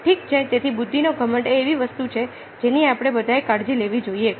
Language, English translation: Gujarati, ok, so the arrogance of intelligence is something which has to be taken care of by all of us